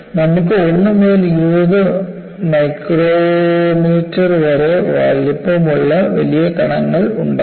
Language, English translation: Malayalam, So, you could have large particles which are of size 1 to 20 micrometers